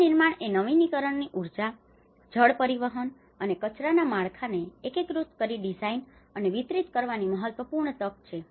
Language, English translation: Gujarati, Reconstruction is an important opportunity to design and deliver renewable energy, water transport, and waste infrastructure in an integrated way